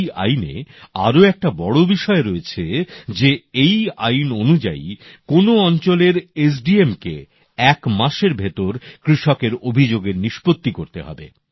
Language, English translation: Bengali, Another notable aspect of this law is that the area Sub Divisional Magistrate SDM has to ensure grievance redressal of the farmer within one month